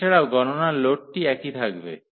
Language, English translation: Bengali, Also the computational load will remain the same